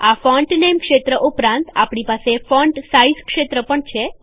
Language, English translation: Gujarati, Beside the Font Name field , we have the Font Size field